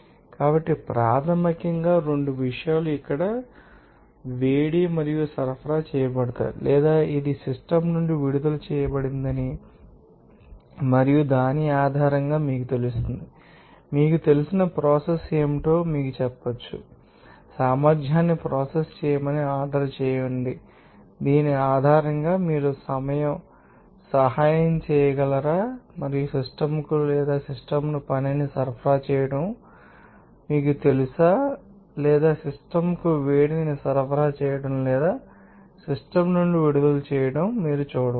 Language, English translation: Telugu, So, basically two things are here heat and work that will be supplied or it will be you know that released from the system and based on based on which you can say that what will be the you know process out and order the efficiency the process that can you can assist based on this and because this you know supplying up work to the system or by the system, you know or you can see that supplying of heat to the system or releasing from the system